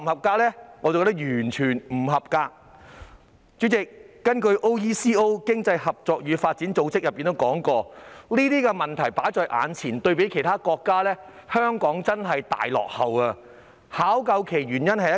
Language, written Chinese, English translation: Cantonese, 代理主席，根據經濟合作與發展組織，就目前的問題而言，對比其他國家，香港真是大落後，而原因只有一個。, Deputy President according to the Organisation for Economic Co - operation and Development Hong Kong is indeed lagging far behind other countries as far as the present problem is concerned and there is only one reason behind it